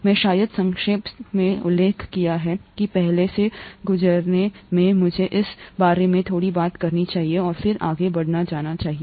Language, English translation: Hindi, I probably briefly mentioned that in the passing earlier, let me talk a little bit about that and then go further